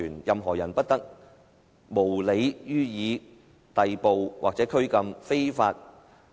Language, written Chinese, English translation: Cantonese, 任何人不得無理予以逮捕或拘禁。, No one shall be subjected to arbitrary arrest or detention